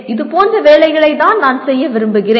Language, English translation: Tamil, This is the kind of jobs that I would like to, I wish to work on